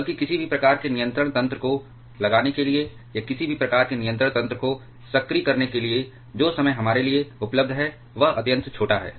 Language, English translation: Hindi, Rather the time that is available for us to put any kind of controlling mechanism or activating any kind of controlling mechanism that is extremely small